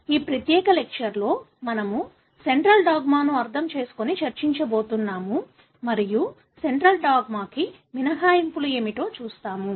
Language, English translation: Telugu, In this particular lecture we are going to understand and discuss Central Dogma and see what are the exceptions to central dogma